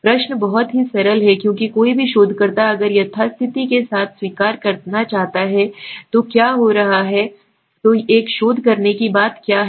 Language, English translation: Hindi, The question is very simple because any researcher if he wants to accept with the status quo what is happening would happen then what is the point of doing a research